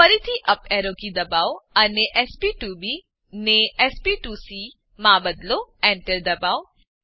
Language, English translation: Gujarati, Again, press up arrow key and change sp2b to sp2c, press Enter